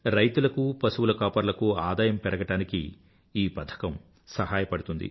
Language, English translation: Telugu, Farmers and cattle herders will be helped in augmenting their income